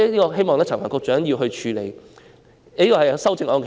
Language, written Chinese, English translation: Cantonese, 我希望陳帆局長可以處理此事。, I hope Secretary Frank CHAN will deal with this